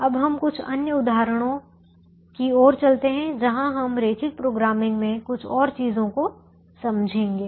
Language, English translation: Hindi, now let us move to couple of other examples where, where we understand a few more things in linear programming